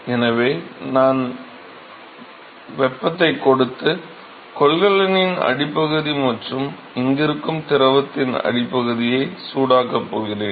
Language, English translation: Tamil, So, I am going to supply heat, I am going to heat the bottom of the container, and have fluid which is sitting here ok